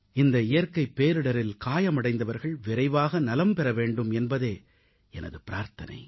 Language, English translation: Tamil, I earnestly pray for those injured in this natural disaster to get well soon